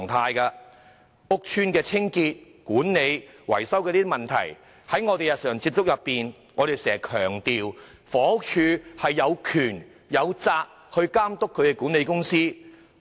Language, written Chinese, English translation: Cantonese, 關於屋邨清潔、管理和維修的問題，在我們日常處理有關工作時，我們經常強調房署有權力、有責任監管屋邨的管理公司。, Regarding the problems of the cleaning management and maintenance services in the housing estates in dealing with the relevant work every day we often emphasize that HD has both the power and the duty to monitor the management companies in the housing estates